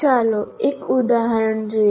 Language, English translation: Gujarati, Now let us look at an example